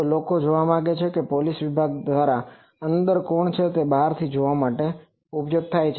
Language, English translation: Gujarati, So, people want to see police department want to see from outside who is there inside